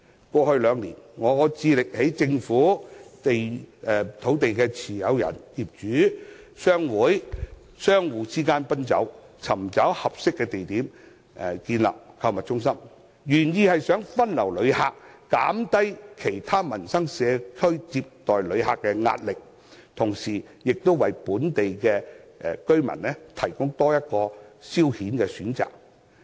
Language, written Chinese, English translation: Cantonese, 過去兩年，我致力在政府、土地持有人、業主、商會和商戶之間奔走，尋找合適地點建立購物中心，原意是想分流旅客，減低其他社區接待旅客的壓力，同時亦為本地居民提供多一個消遣選擇。, In the past two years I have been liaising between the Government property owners chambers of commerce and shop owners to find an appropriate location for constructing the shopping mall . The original intention is to divert tourists from other districts so as to lessen the pressure on the communities in those districts in receiving tourists and at the same time provide an additional option for local residents to spend their leisure time